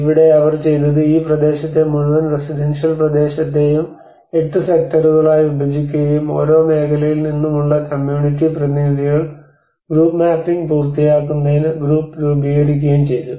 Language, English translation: Malayalam, And that what they did was they divided this whole territory residential territory into 8 sectors and the community representatives from each sector formed the group to accomplish the group mapping exercise